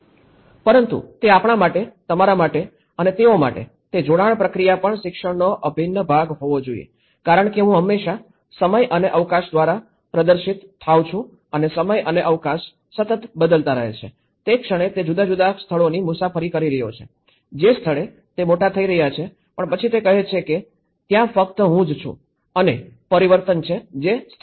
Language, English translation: Gujarati, But if we, you, they, that attachment process also has to be part of the integral education because I is always perceived through time and space and time and space are constantly changing, the moment he is travelling a different places, the moment he is growing up but then it says there is only I and change which are constants